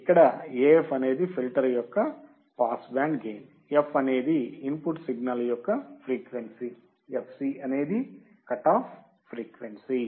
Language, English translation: Telugu, Here AF is the pass band gain of the filter, f is the frequency of the input signal, fc is the cutoff frequency